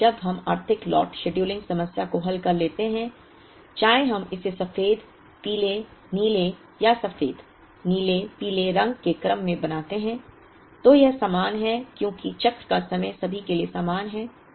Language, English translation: Hindi, Once we solve the Economic Lot scheduling problem whether we make it in the order white, yellow, blue or white, blue, yellow it is the same because the cycle time is the same for all